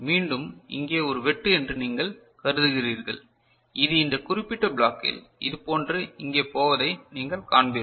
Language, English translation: Tamil, So, again you consider a cut over here and you will find that this is going over here like this in this particular block right